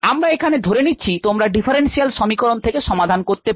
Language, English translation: Bengali, you know the solution of the differential equation